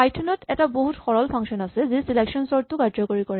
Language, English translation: Assamese, Here is the very simple Python function which implements selection sort